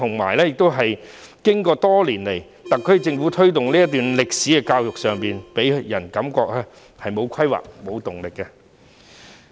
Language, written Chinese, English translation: Cantonese, 然而，特區政府多年來在推動這段歷史的教育上，予人的感覺是沒有規劃、沒有動力的。, However over the years the SAR Government has been giving people the impression of lacking planning and motivation for the promotion of education on this episode of history